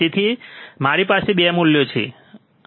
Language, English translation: Gujarati, So, we have 2 values, right